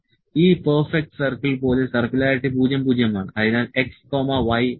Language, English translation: Malayalam, Circularity is 00 like this perfect circle